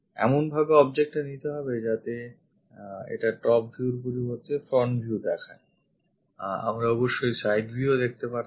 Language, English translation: Bengali, Pick the object in such a way that front view will be this one instead of showing top view; we could have shown side view